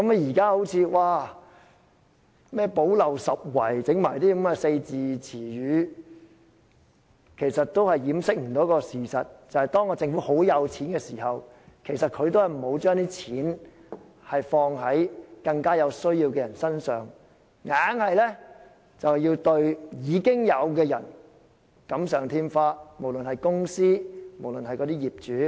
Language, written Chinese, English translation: Cantonese, 現在說"補漏拾遺"，其實也無法掩飾事實，就是政府擁有龐大盈餘，但沒有把錢用於更有需要的人身上，但對已經獲得利益的無論是公司或業主"錦上添花"。, The present proposal to plug the gap cannot conceal the fact that the Government is sitting on a huge surplus but has not spent it on the more needy ones . Instead it has put icing on the cake for companies and property owners who have already enjoyed other benefits